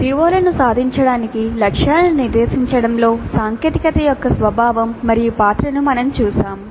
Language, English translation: Telugu, We have seen the nature and role of technology in setting targets for attainment of COs that we completed